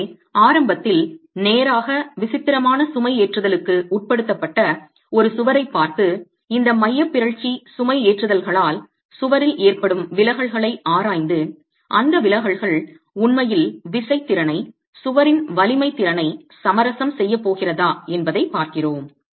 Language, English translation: Tamil, So we are looking at a wall that is initially straight, subjected to eccentric loading and examine the deflections in the wall due to this eccentric loading and see if those deflections are actually going to compromise the force capacity, the strength capacity of the wall itself